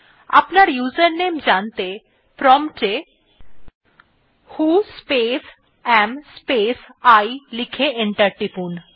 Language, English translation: Bengali, To know what is your username, type at the prompt who space am space I and press enter